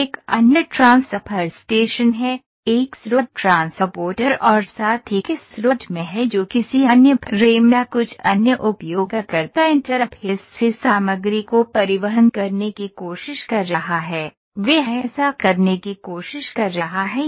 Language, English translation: Hindi, So, again from this there is another transfer station ok, a source transporter as well the source transporter that is a source is there that is trying to transport material from some other frame or some other user interfaces other interface it is trying to do that